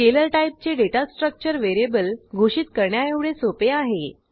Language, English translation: Marathi, Scalar type of data structure is as simple as declaring the variable